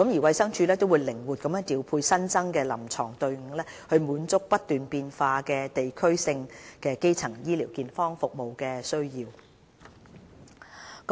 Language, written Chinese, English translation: Cantonese, 衞生署會靈活調派新增的臨床隊伍提供服務，以滿足不斷變化的地區性基層健康服務需要。, The two additional teams will be flexibly deployed to meet the ever - changing demand for primary health care services in various districts